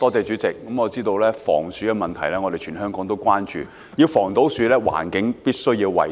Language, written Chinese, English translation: Cantonese, 主席，我知道全香港也關注防鼠問題，要做到防鼠，環境必須要衞生。, President I know people all over Hong Kong are concerned about rodent problems . A hygienic environment is necessary for anti - rodent work